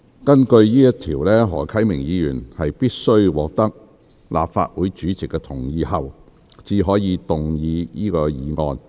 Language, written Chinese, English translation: Cantonese, 根據該條，何啟明議員必須獲得立法會主席同意後，才可動議此議案。, According to the rule Mr HO Kai - ming can only move that motion with the consent of the President